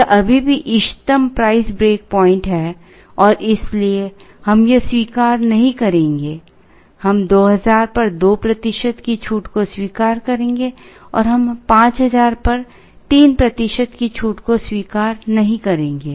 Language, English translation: Hindi, This is still the optimum price break point and therefore, we will not accept this we would accept a 2 percent discount at 2000 and we will not accept a 3 percent discount at 5000